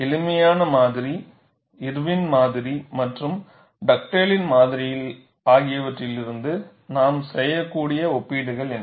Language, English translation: Tamil, What is the kind of comparisons that we can make from simplistic model, Irwin’s model and Dugdale’s model